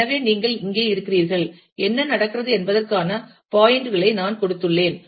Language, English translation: Tamil, So, you can here, I have given the points of what happens